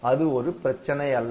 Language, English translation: Tamil, So, it does not matter